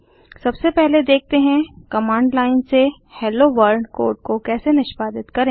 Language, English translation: Hindi, First let us see how to execute the Hello World code from command line